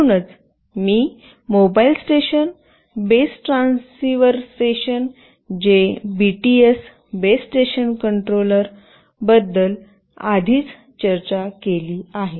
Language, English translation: Marathi, So, this is exactly what I have already discussed about Mobile Station, Base Transceiver Station that is the BTS, Base Station Controller